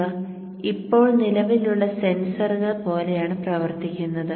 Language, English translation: Malayalam, So these are just now behaving like current sensors